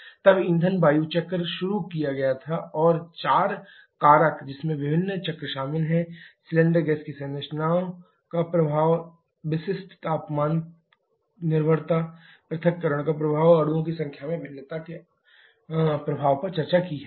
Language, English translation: Hindi, Then the fuel air cycle was introduced and four factors, which comprises of various cycles: effect of composition of cylinder gas, effect of temperature dependence of specific heat, effect of dissociation and the effect of variation in number of molecules have been discussed